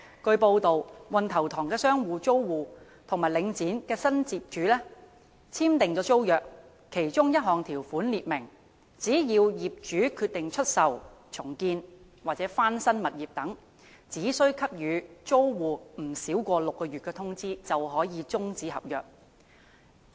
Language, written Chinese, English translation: Cantonese, 據報道，運頭塘商場租戶與領展及新業主簽訂的租約的其中一項條款列明，只要業主決定出售、重建或翻新物業等，只需給予租戶不少於6個月的通知便可終止合約。, It is reported that in the tenancy agreements signed between tenants of Wan Tau Tong Shopping Centre with Link REIT and the new landlord one of the terms provides that in case the landlord decides to sell redevelop or renovate the property etc . it is entitled to terminate the tenancies by serving tenants an advance notice of no less than six months